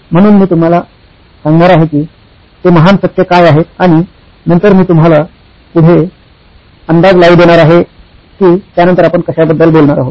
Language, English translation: Marathi, So, I am going to be telling you what those noble truths are, and then, I will let you guess what we are going to talk about next after that, I will let you do the connection